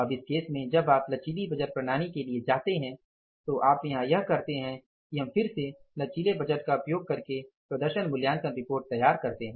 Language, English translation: Hindi, Now in this case when you go for the flexible budgeting system what you do here is that we again prepare the performance evaluation reports by using the flexible budgets